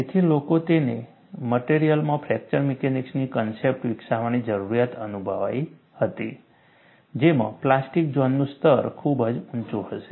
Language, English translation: Gujarati, So, people felt the need for developing fracture mechanics concepts to materials, which would have a higher level of plastic zone